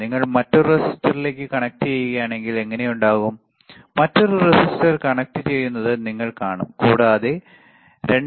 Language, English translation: Malayalam, If you connect to another resistor, you will see another resistor is connecting and we are getting the value around 2